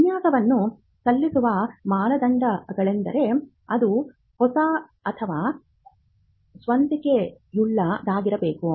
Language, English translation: Kannada, The requirements for filing a design is that it has to be new or original